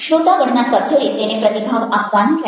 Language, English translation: Gujarati, the members of the audience have to respond to it